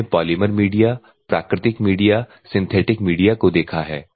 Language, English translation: Hindi, We have seen the polymer media, natural media, synthetic media, among the synthetic media